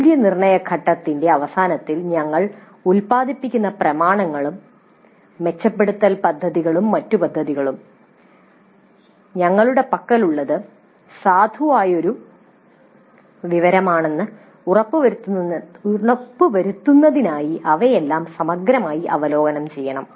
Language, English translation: Malayalam, So at the end of the evaluate phase also the documents that we produce and the improvement plans and other plans that we produce they all must be peer reviewed in order to ensure that what we have is a valid kind of information